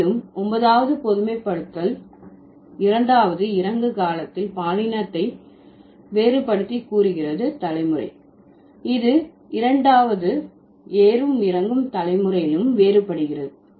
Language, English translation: Tamil, And the ninth general generalization says if sex is differentiated in the second descending generation, it is also differentiated in the second ascending generation